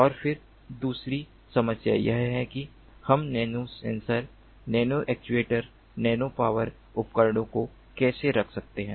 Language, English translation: Hindi, and then the other problem is how we can put the nano sensors, nano actuators, nano power devices and the like together as a single device